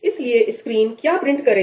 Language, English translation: Hindi, So, what will the screen print